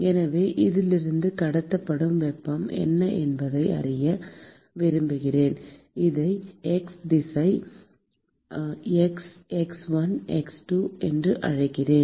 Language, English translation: Tamil, So, I want to know what is the heat that is being transported from let us say, let me call this as x direction, x equal to x1, x2